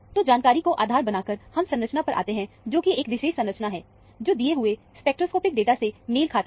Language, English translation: Hindi, So, based on this information, we have arrived at the structure, which is this particular structure, which matches the given spectroscopic data